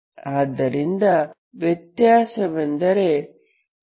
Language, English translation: Kannada, So that means the difference is 0